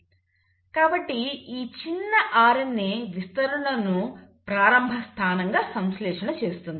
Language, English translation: Telugu, So it synthesises this small stretch of RNA as a starting point